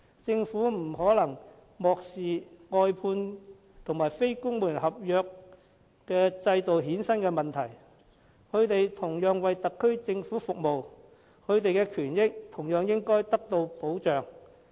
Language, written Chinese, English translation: Cantonese, 政府不能漠視外判及非公務員合約制衍生的問題，他們同樣為特區政府服務，權益應同樣獲得保障。, The Government should not ignore the problems caused by outsourcing and the NCSC scheme for these employees are also serving the SAR Government and their rights and benefits should be protected similarly